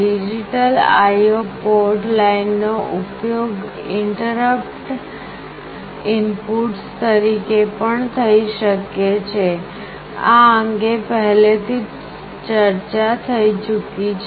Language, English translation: Gujarati, The digital I/O port lines can be used as interrupt inputs as well; this is already discussed